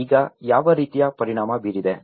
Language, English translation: Kannada, Now, what kind of impact